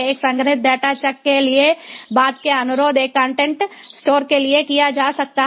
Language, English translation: Hindi, subsequent requests for a stored data chuck can be made to a ah a to a content store